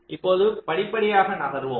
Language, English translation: Tamil, ok, now let us moves step by step